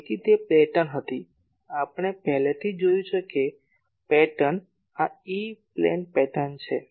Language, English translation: Gujarati, So, that pattern was we have already seen that pattern was like this so, this is the E plane pattern